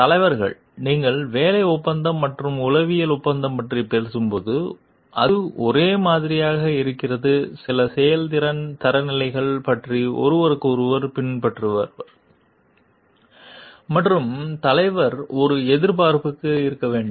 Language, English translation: Tamil, Leader it is a like when you are talking of employment contract and the psychological contract it is a both to be expectation of the follower and the leader from each other about certain like performance standards